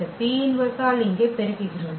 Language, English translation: Tamil, We multiply by this P inverse here